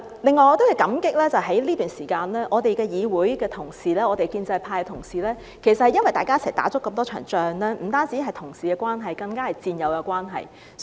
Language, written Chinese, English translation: Cantonese, 此外，我要感激在這段時間，我們的議會同事、建制派同事共同打了那麼多場仗，我們不單是同事關係，更加是戰友關係。, In addition I would like to express my gratitude to our colleagues in the legislature and the pro - establishment camp for fighting so many battles together during this period of time and we are not only colleagues but also comrades